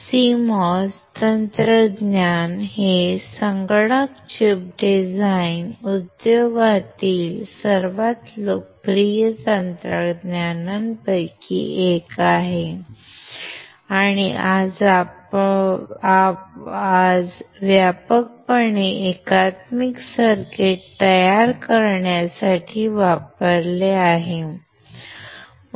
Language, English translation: Marathi, CMOS technology is one of the most popular technology in the computer chip design industry, and broadly used today to form integrated circuits